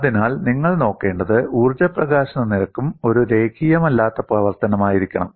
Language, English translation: Malayalam, So, what you will have to look at is the energy release rate also has to be a non linear function